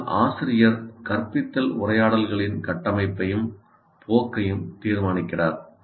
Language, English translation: Tamil, But teacher determines the structure and direction of instructional conversations